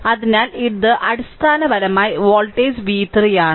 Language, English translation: Malayalam, So, this is basically voltage v 3 right